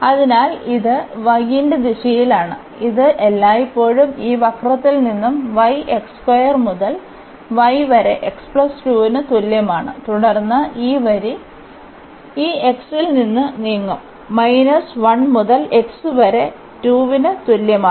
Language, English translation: Malayalam, So, this is in the direction of y which is always from this curve y is equal to x square to y is equal to x plus 2 and then this line will move from this x is equal to minus 1 to x is equal to 2